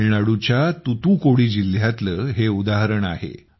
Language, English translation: Marathi, This is the example of Thoothukudi district of Tamil Nadu